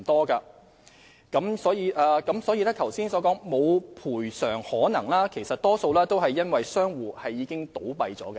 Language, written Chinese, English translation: Cantonese, 至於容議員剛才提到的"無賠償可能"的個案，大多由於相關商戶已經倒閉。, As for those cases with no recovery prospect mentioned by Ms YUNG earlier in most cases it was because the shops in question had closed down